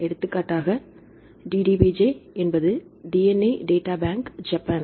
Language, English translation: Tamil, So, one is a DDBJ we say DNA Data Bank Japan right